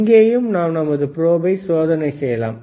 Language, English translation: Tamil, Hhere also we can do the testing of the probe